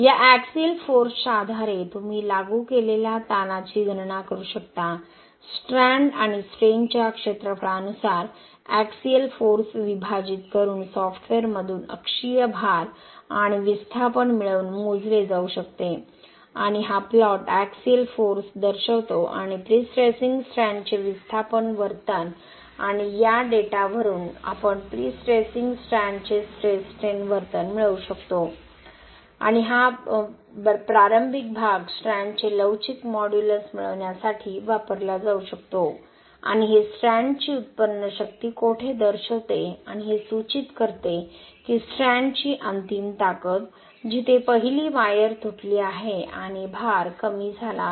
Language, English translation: Marathi, Based on this axial force you can get the, you can calculate the stress applied, dividing the axial force by the area of the strand and strain can be calculated by obtaining the axial load and displacement from the software and this plot shows the axial force and displacement behaviour of the prestressing strand and from this data we can obtain the stress strain behaviour of the prestressing strand and this initial portion can be used to obtain the elastic modulus of the strand and this indicates where the yield strength of the strand and this indicates the ultimate strength of the strand, where the first wire has broken and the load has dropped